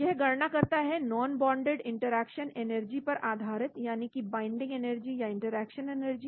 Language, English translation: Hindi, it calculates based on the energy of the non bonded interaction that is the binding energy or interaction energy